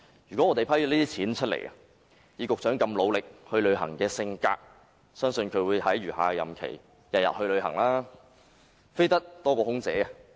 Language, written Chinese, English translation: Cantonese, 如這筆撥款獲批，以局長熱愛外遊的個性，相信會在餘下任期每日外訪，比空姐"飛"得更頻繁。, If the funding is approved I believe the Secretary being so passionate in travelling will make such visits in each of his remaining days during his tenure and he will be flying more often than an air hostess